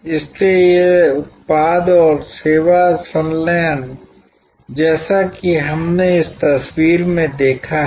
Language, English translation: Hindi, So, this product and service fusion as we saw in this picture